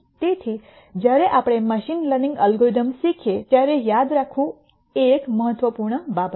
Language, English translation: Gujarati, So, that is an important thing to remember later when we when we learn machine learning algorithms